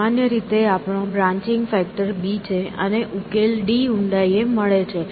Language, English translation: Gujarati, So in general, we have given a branching factor of b, and let say the solution is a depth d